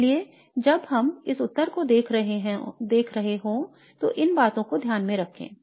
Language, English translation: Hindi, So keep this in mind while we are looking at this answer